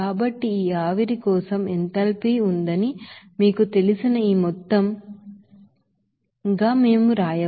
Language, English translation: Telugu, So we can say that this amount of you know enthalpy is there for this vapor